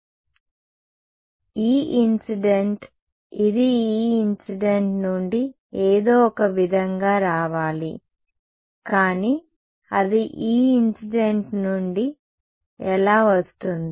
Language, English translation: Telugu, E incident it has to come somehow from E incident, but how will it come from E incident